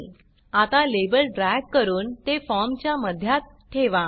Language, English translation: Marathi, Now let us drag the label to center it on the form